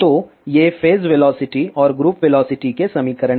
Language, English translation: Hindi, So, these are the equations of phase velocity andgroup velocity